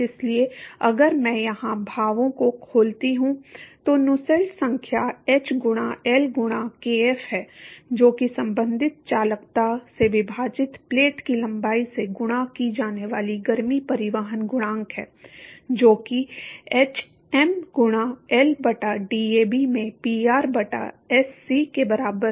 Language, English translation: Hindi, So, if I open up the expressions here Nusselt number is h into L by kf, that is the heat transport coefficient multiplied by length of the plate divided by the corresponding conductivity that is equal to hm into L by DAB into Pr by Sc to the power of n right